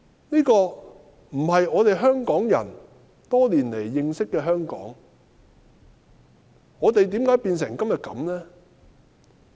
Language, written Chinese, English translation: Cantonese, 這並非我們香港人認識多年的香港，是甚麼緣故令香港變成今日這樣？, This is not the Hong Kong that we Hong Kong people have been accustomed to over the years . Why has Hong Kong come to such a pass?